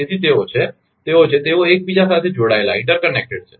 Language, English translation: Gujarati, So, they are, they are they are interconnected